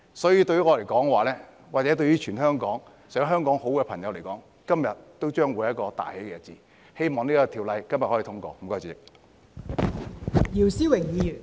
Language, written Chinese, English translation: Cantonese, 所以，對於我或全香港想香港好的朋友來說，今天將會是一個大喜日子，希望《條例草案》今天可以通過。, Therefore today would be an auspicious day for me and all those in Hong Kong who wish to see Hong Kong fare well . I hope the Bill will be passed today